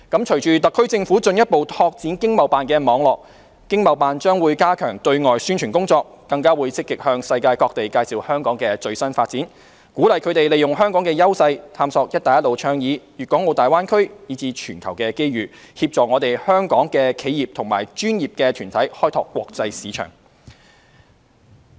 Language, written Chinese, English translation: Cantonese, 隨着特區政府進一步拓展經貿辦的網絡，經貿辦將加強對外宣傳工作，更積極向世界各地介紹香港的最新發展，鼓勵他們利用香港的優勢探索"一帶一路"倡議、大灣區，以至全球的機遇，協助香港的企業和專業團體開拓國際市場。, With the further expansion of the network of ETOs by the SAR Government ETOs will strengthen external publicity and more actively introduce the latest developments of Hong Kong to the rest of the world and encourage them to make use of the advantages of Hong Kong to explore the Belt and Road Initiative and the Greater Bay Area and make use of the global opportunities to assist Hong Kong enterprises and professional groups in exploring the international market